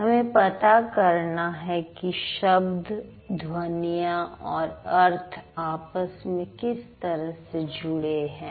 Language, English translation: Hindi, So, we have to figure out how sounds and words and meaning they are interrelated